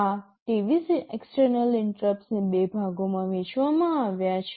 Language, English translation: Gujarati, These 23 external interrupts are split into two sections